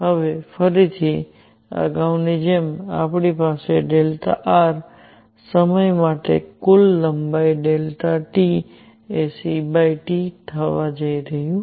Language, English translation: Gujarati, Now, again as previously we have delta r; total length for time delta T is going to be c delta t